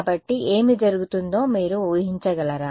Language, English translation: Telugu, So, can you anticipate what will happen